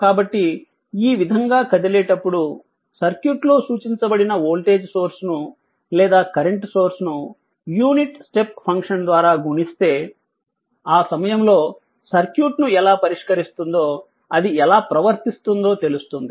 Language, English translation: Telugu, So, that is the idea rather than then moving like this, if we represent circuit, if we represent the source voltage source or current source right, by we multiplied by unit your step function, how when we will solve the circuit at that time we will know how it behaves, right